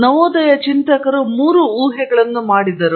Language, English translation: Kannada, In the Renaissance thinkers made three assumptions